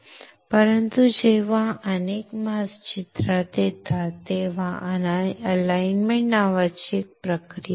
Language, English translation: Marathi, But when multiple masks come into picture, there is a process called alignment